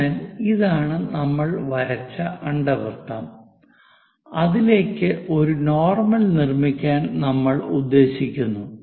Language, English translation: Malayalam, So, this is the ellipse which we have joined, and our intention is to construct something like normal to that